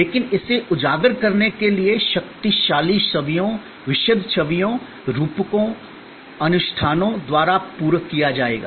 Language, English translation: Hindi, But, it will be supplemented by powerful images, vivid images, metaphors, rituals to highlight